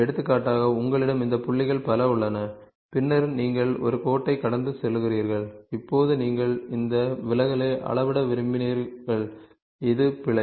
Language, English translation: Tamil, So, for example, you had you have several of these points and then you have a line passing through, now you wanted to measure this deviation which is the error ok